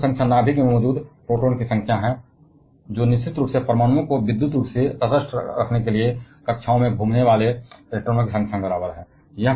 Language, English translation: Hindi, So, atomic number is the number of protons present in the nucleus; which of course, is equal to the number of electrons rotating in the orbits to keep an atom electrically neutral